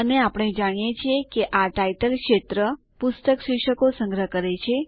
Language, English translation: Gujarati, And we know that the title field stores the book titles